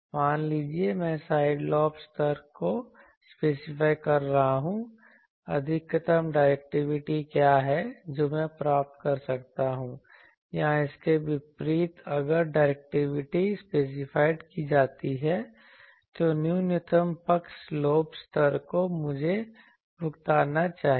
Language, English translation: Hindi, Suppose, I am specifying side lobe levels what is the maximum directivity I can obtain or conversely if the directivity is specified what is the minimum side lobe level I should suffer